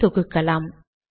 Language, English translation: Tamil, Let us compile it